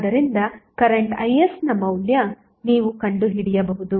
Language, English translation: Kannada, So, you can find out the value of current Is